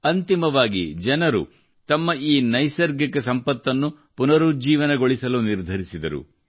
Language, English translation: Kannada, Eventually, people decided to revive this natural heritage of theirs